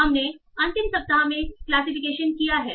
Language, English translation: Hindi, So we did classification just in the last week